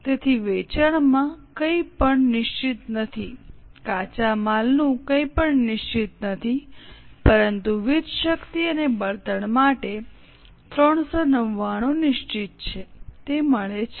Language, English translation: Gujarati, So, in sales nothing is fixed, raw material nothing is fixed but for power and fuel 399 is fixed